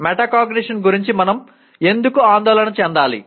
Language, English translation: Telugu, Coming to metacognition, what is it